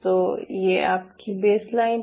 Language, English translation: Hindi, so this is your baseline, ok